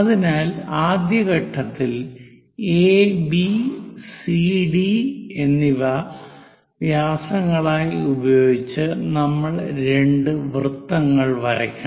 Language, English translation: Malayalam, So, first step, we have to draw two circles with AB and CD as diameters